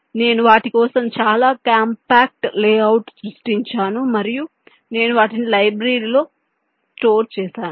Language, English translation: Telugu, i have created a very compact layout for them and i have stored them in the library